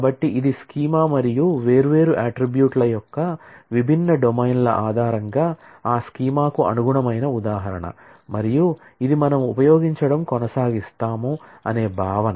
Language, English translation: Telugu, So, this is the schema and this is the instance corresponding to that schema based on the different domains of the different attributes and this is the notion that we will continue using